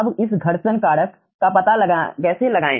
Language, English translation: Hindi, right now, how to find out this friction factor